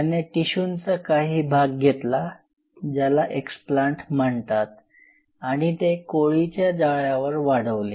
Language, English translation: Marathi, He took a explants or part of the tissue and grew it on a spider net